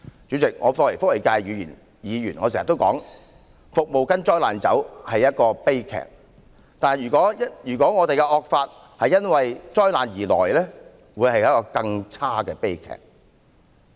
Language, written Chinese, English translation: Cantonese, 主席，作為社福界的議員，我經常說"服務跟災難走"是一個悲劇，但如果本港的惡法是因災難而來，將會是一個更差的悲劇。, President as a Member of the social welfare sector I often say that it is a tragedy to have services following disasters but it would be an even worse tragedy to have a draconian law following disasters in Hong Kong